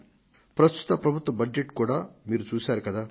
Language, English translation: Telugu, You must have seen the Budget of the present government